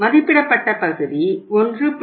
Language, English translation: Tamil, The estimated part is 1